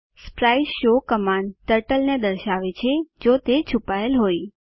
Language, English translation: Gujarati, spriteshow command shows Turtle if it is hidden